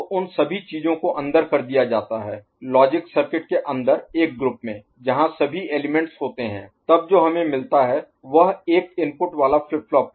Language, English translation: Hindi, So, all those things pushed inside inside the logic circuit within a particular you know group ok, where all the elements are there then what we get is a single input flip flop